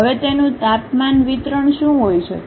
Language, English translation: Gujarati, Now what might be the temperature distribution of that